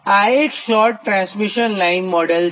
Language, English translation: Gujarati, so this is a short line model